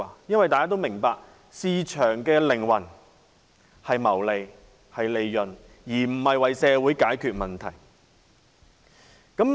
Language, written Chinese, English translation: Cantonese, 眾所周知，市場的靈魂是謀利，而不是為社會解決問題。, As we all know the driving force of free market is making profits instead of resolving social problems